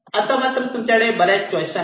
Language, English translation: Marathi, now you have several choices